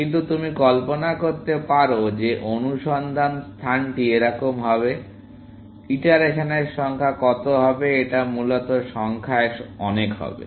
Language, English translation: Bengali, But you can imagine that in the search space like this, the number of iterations that, it will have to do is going to be very many, essentially